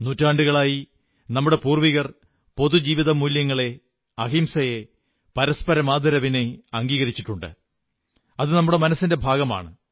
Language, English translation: Malayalam, For centuries, our forefathers have imbibed community values, nonviolence, mutual respect these are inherent to us